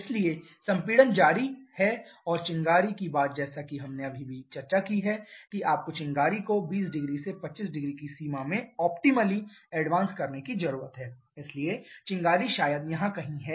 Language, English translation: Hindi, So, the compression is continued and the spark thing as we have just discussed you need to advance the spark optimally in the range of 15 20 sorry 20 25 degrees, so the spark is probably somewhere here